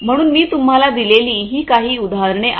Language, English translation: Marathi, So, these are some examples that I have given you